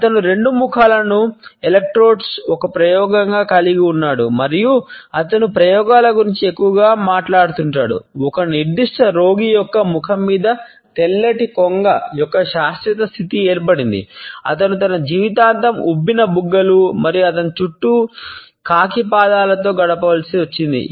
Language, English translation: Telugu, He had as an experiment at test electrodes two faces and he is most talked about experiments resulted in a permanent fixture of white crane on a particular patient’s face who had to spend rest of his life with puffed up cheeks and crow’s feet around his eyes